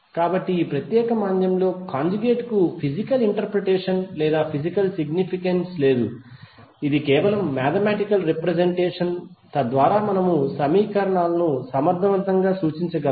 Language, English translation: Telugu, So the conjugate is not having any physical interpretation or physical significance in this particular depression this is just a mathematical representation, so that we can represent the equations effectively